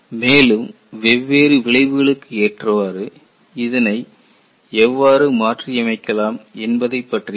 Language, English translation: Tamil, Then, we will also look at, how this could be modified for different effects